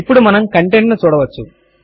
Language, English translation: Telugu, Now you can see its contents